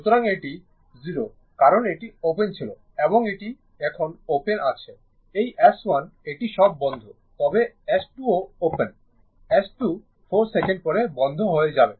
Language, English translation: Bengali, So, this is 0 because this was open and this is open now this now ah this S 1 this one is closed all, but this is open this is open right, but this this this also open S 2, S 2 will be closed 4 second later